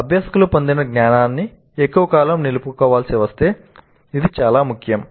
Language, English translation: Telugu, Now this is very important if the learners have to retain their knowledge acquired for longer periods of time